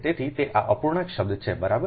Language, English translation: Gujarati, this is the fractional term, right